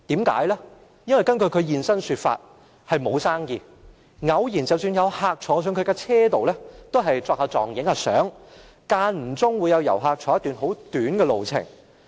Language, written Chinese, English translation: Cantonese, 根據他現身說法，是因為沒有生意，即使偶爾有客人坐在他的車上，也只是擺姿勢拍照，間中會有遊客乘坐一段很短的路程。, According to him there is no business . Occasionally a customer will sit on his rickshaw to pose for photos or travel on the rickshaw for a very short distance